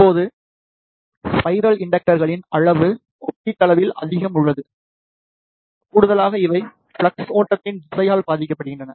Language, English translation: Tamil, Now, the in case of the spiral inductor the size is relatively more, additionally these suffer from the direction of the flow of flux